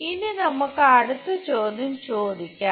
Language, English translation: Malayalam, Now, let us ask next question